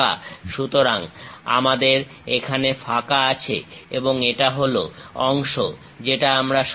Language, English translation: Bengali, So, we have empty here and this is the part which we are removing